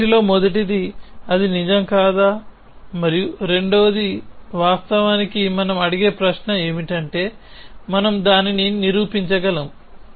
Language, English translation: Telugu, First of all what is the intuition whether it is true or not true and secondly, off course the question that we will ask is can we prove it